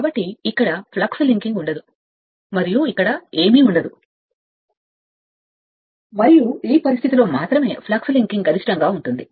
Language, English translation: Telugu, So, there will be assuming there will be no flux linking here and nothing will be here, and only under this condition flux linking will be maximum